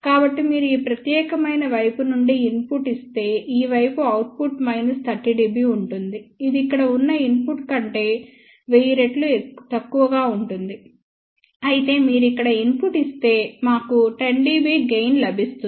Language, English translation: Telugu, So, if you give an input from this particular side, then the output on this side will be about minus 30 dB which is about 1000 times less than the input over here whereas, if you give a input here, we get a gain of 10 dB which will be 10 times